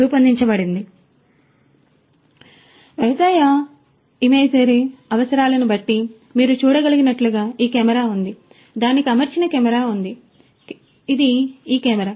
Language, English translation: Telugu, So, agro imagery requirements so, there is this camera as you can see, there is a camera that is fitted to it this is this camera